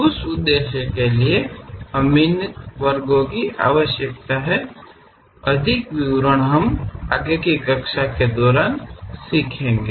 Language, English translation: Hindi, For that purpose, we require these sections; more details we will learn during the class